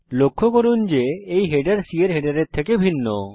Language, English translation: Bengali, Notice that the header is different from the C file header